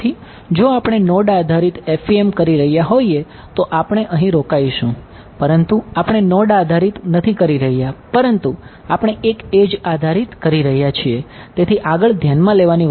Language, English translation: Gujarati, So, if we were doing node based FEM we would stop here, but we are not doing a node based we are doing an edge base FEM